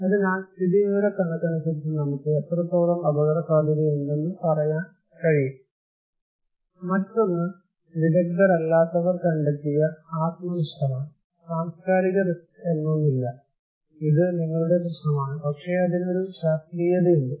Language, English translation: Malayalam, So, statistically we can say how much risk is there, another one is the subjective one that perceived by non expert, there is nothing called cultural risk, it is your problem man, but there is a scientific